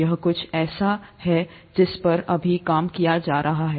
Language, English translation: Hindi, This is something that is being worked on right now